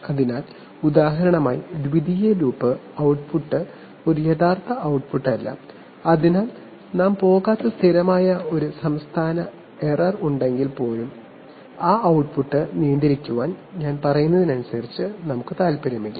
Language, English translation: Malayalam, So, but, it so happens that for example firstly the secondary loop output is not a real output, so even if there is a steady state error we are not going to, we are not interested as I mean, per say to control that output